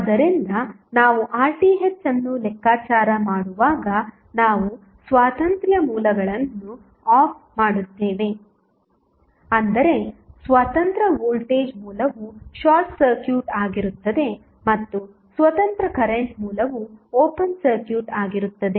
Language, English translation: Kannada, So, when we calculate R Th we make the independence sources turned off that means that voltage source independent voltage source would be short circuited and independent current source will be open circuited